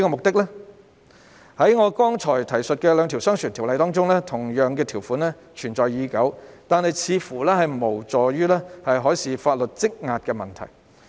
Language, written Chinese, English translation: Cantonese, 在我剛才提述的兩項商船條例中，同樣的條款存在已久，但似乎無助於解決修訂海事相關法例工作積壓的問題。, In the two ordinances concerning merchant shipping that I have mentioned just now the same provisions have existed for a long time but they do not seem to have helped solve the backlog problem with marine - related legislative amendments